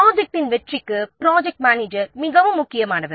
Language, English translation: Tamil, A project manager is very much vital to the success of the project